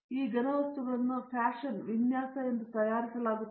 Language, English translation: Kannada, These solids have to be fashioned, designed and fabricated